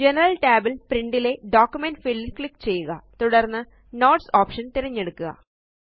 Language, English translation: Malayalam, In the General tab, under Print, in the Document field, choose the Notes option